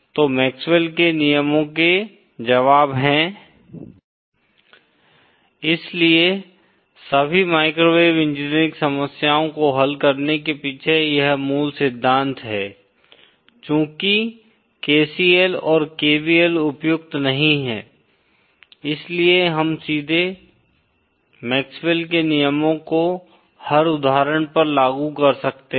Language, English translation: Hindi, So the solutions of the MaxwellÕs lawsÉ So this is the fundamental principle behind solving all microwave engineering problems that since KCL and KVL are not applicable, we can directly apply MaxwellÕs laws to every instance